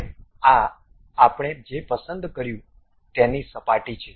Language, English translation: Gujarati, Now, this is the surface what we have picked